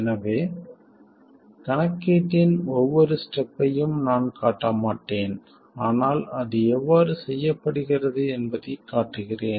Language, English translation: Tamil, I won't show every step of the calculation but show you how it is done